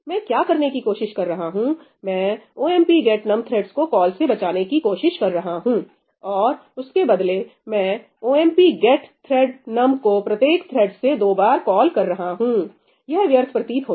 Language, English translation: Hindi, What was I trying to do I was trying to save a call to ëomp get num threadsí, and instead I am calling ëomp get thread numí twice now, from every thread, right seems like waste